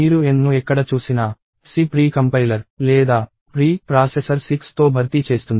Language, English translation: Telugu, Wherever you see N, the C precompiler or pre processor will replace that with 6